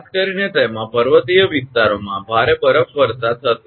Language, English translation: Gujarati, Particularly in that, mountain areas that there will be heavy snowfall